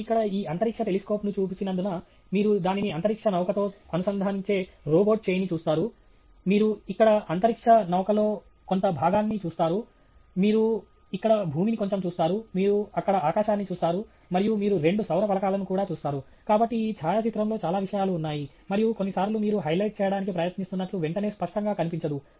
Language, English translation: Telugu, And that’s because you see this space telescope here, you see the robotic arm that connects it to the space shuttle, you see part of the space shuttle here, you see a little bit of earth here, you see the sky there and you also see the two solar panels; so there are many things that are there in this photograph and so sometimes it’s not immediately apparent what you are trying to highlight